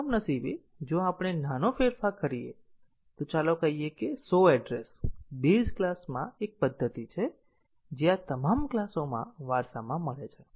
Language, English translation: Gujarati, So, unfortunately if we make a small change let say show address() is a method in the base class which is inherited in all these classes